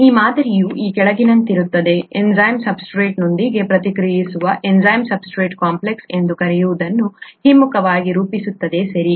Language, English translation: Kannada, This model is as follows; the enzyme reacts with the substrate to reversibly form what is called the enzyme substrate complex, okay